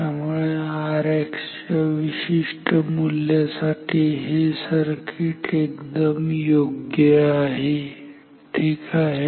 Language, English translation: Marathi, So, this is a better circuit for this particular value of R X ok